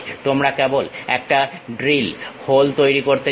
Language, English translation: Bengali, You just want to make a drill, hole